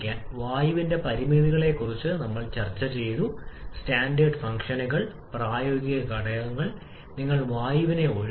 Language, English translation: Malayalam, We have discussed about the limitations of air standard functions, practical factors, which you are excluding air